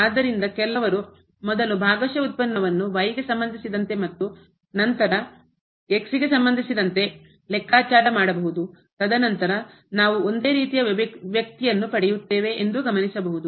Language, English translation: Kannada, So, first of all we should note that if we compute the partial derivative here first with respect to , and then with respect to we will get the same quantity as before